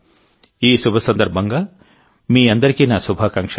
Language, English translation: Telugu, My best wishes to all of you on this auspicious occasion